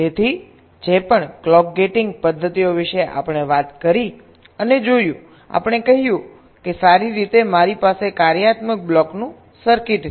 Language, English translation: Gujarati, so far, whatever clock gating methods we talked about and looked at, we said that, well, i have a circuit of functional block